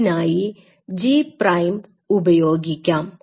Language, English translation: Malayalam, So, what I do I put a G prime